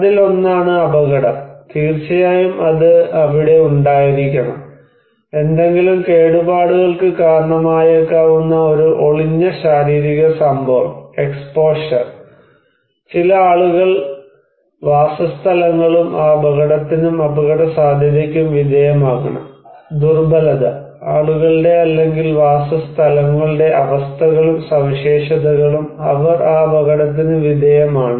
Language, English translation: Malayalam, One is the hazard; of course, that should be there, a latent physical event that may cause some potential damage, also the exposure; some people and settlements should be exposed to that hazard, and the vulnerability; the conditions and the characteristics of the people or the settlements they are exposed to that hazard